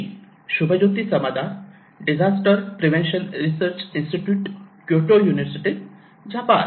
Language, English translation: Marathi, So, I am Subhajoti Samaddar, from DPRI; Disaster Prevention Research Institute, Kyoto University, Japan